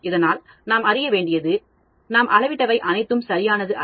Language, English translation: Tamil, So, we need to know, and measurements are not very prefect